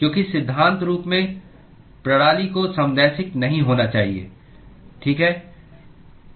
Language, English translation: Hindi, Because in principle, the system need not be isotropic, right